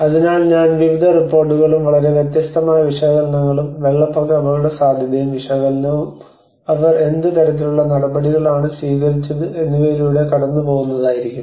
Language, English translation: Malayalam, So I will go through a brief of various reports and very different kinds of analysis, the flood risk analysis and what kind of measures they have taken